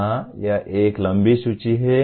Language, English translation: Hindi, Yes, this is a long list